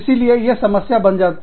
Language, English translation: Hindi, So, this can become a problem, also